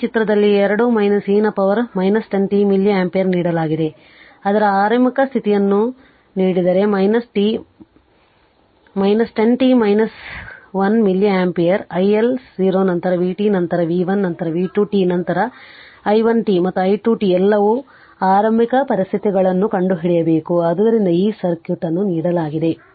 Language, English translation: Kannada, That this figure i t is given 2 minus e to the power minus 10 t milli ampere if initial condition of i t is given minus 1 milli ampere find initial conditions i1 0 then v t then v 1 then v 2 t then i 1 t and i 2 t all you have to find it out right, so this is the circuit is given